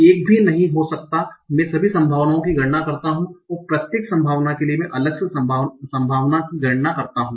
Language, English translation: Hindi, One naive way might be I enumerate all the possibilities and for each possibility I compute the probability separately